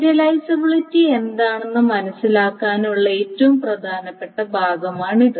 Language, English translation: Malayalam, So that is a very important part of what to understand what view serializability is